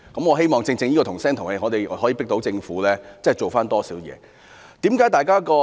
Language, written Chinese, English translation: Cantonese, 我希望正正因我們"同聲同氣"，可迫使政府就此多下工夫。, I hope that because we can reach a consensus on the motion we can force the Government to make greater efforts in this respect